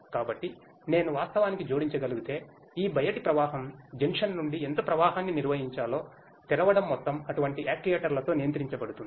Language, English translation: Telugu, So, if I may add actually it is a there are the amount of opening how much flow is to be maintained from this outflow junction can be controlled with such actuators